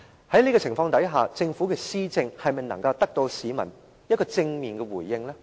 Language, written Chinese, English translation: Cantonese, 在這種情況下，政府的施政能否得到市民的正面回應呢？, In such a situation can the administration of the Government receive any positive response from members of the public?